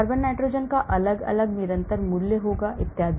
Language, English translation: Hindi, carbon nitrogen will have different constant value and so on